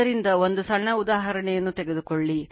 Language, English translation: Kannada, So, take a one small take a simple example